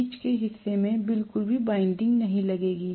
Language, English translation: Hindi, In the middle portion I will not have any winding at all